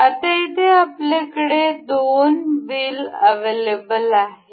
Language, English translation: Marathi, Now, here we have two wheels available